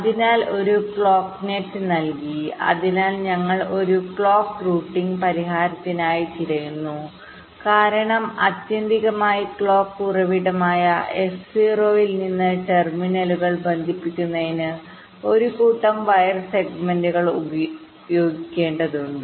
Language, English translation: Malayalam, so we are looking for a clock routing solution because ultimately, from the clock source s zero, we have to use a set of wire segments to connect the terminals